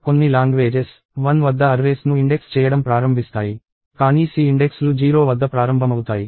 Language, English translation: Telugu, So, some languages start indexing arrays at 1; but C indices start at 0